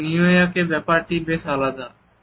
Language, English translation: Bengali, In New York, it is quite a different story